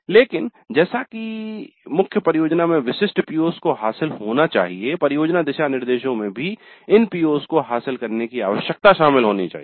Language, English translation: Hindi, But for even the main project to address specific POs, project guidelines must include the need to address these POs